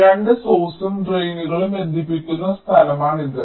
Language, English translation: Malayalam, so this is the point where the two source and the drains, are connecting